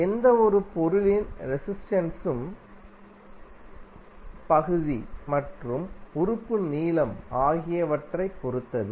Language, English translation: Tamil, Resistance of any material is having dependence on the area as well as length of the element